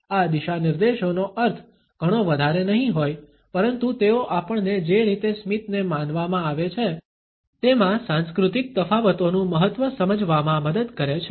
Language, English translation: Gujarati, These guidelines may not mean too much, but they help us to understand, the significance of cultural differences in the way the smile is perceived